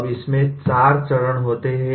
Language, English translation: Hindi, Now it consists of 4 stages